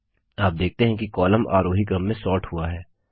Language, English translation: Hindi, You see that the column gets sorted in the ascending order